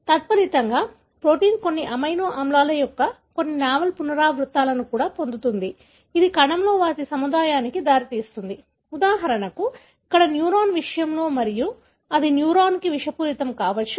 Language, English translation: Telugu, As a result, the protein also acquire certain novel repeats of certain amino acids, leading to their aggregation in the cell, for example here in case of neuron and that could be toxic to the neuron